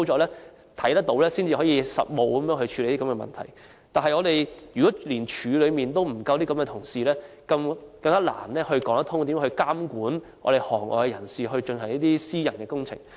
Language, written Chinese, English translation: Cantonese, 然而，如果現在連水務署內也沒有足夠的資深人員，更難說得通要如何監管行內人士進行私人工程。, However now if we do not even have sufficient staff with experience in WSD it is just impractical to expect them to oversee the private works done in the sector